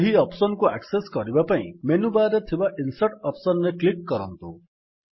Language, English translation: Odia, To access this option, first click on the Insert option in the menu bar